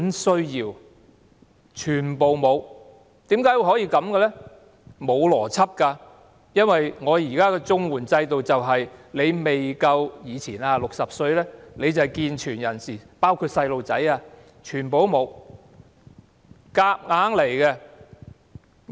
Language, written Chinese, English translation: Cantonese, 是沒有邏輯的，因為在綜援制度下，以前如果你未夠60歲，你便是健全人士，包括小孩，全部不合資格。, There is no logic because in the past under the CSSA system people under 60 would be regarded as able - bodied including children . All of them were ineligible